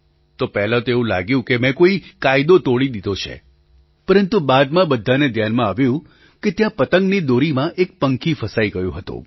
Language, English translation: Gujarati, At first sight it seemed that I had broken some rule but later everyone came to realize that a bird was stuck in a kite string